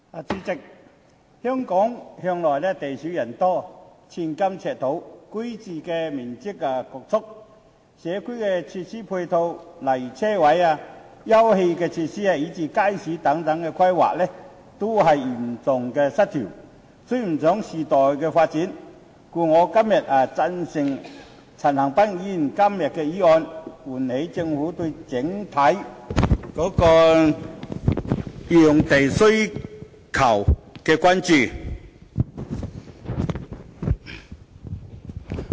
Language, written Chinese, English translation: Cantonese, 主席，香港向來地少人多，寸金尺土，居住環境侷促，社區設施配套如車位、休憩設施，以至街市等的規劃，均嚴重失衡，追不上時代發展，故此我支持陳恒鑌議員今天的議案，希望能喚起政府對整體用地需求規劃的關注。, President Hong Kong has always been a small and densely populated city where land is highly precious the living environment crowded and community facilities such as parking spaces sitting - out facilities and even markets are seriously imbalanced failing to keep up with the development of the times . For this reason I support Mr CHAN Han - pans motion today with the hope of arousing the Governments concern about the overall demand for and planning of land